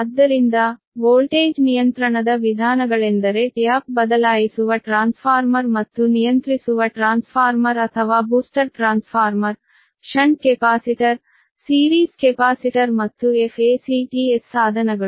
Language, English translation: Kannada, so the methods for voltage control are the use of one is the tap changing transformer, then regulating transformer or booster transformer, ah, shunt capacitor, ah, series capacitor and the facts devices, right